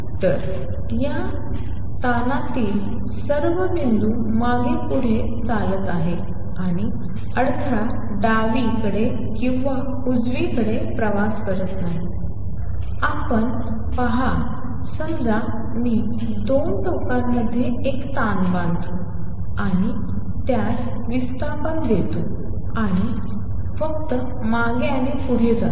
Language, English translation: Marathi, So, all the points any point on this strain is oscillating back and forth and the disturbance is not traveling either to the left or to the right; you see in this; suppose, I take a strain tie it between 2 ends and give it a displacement and just goes back and forth